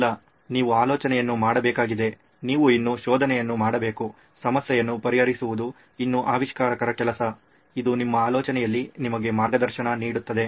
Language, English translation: Kannada, No, you shall have to do the thinking, you still have to do the finding, it still the inventor’s job to solve the problem, this guides you in your thinking